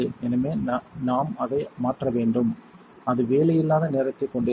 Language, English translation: Tamil, So, then we have to replace it and it is going to have downtime